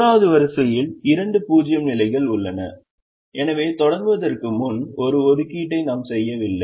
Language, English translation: Tamil, and the third row also has two zero positions and therefore we don't make an assignment to begin with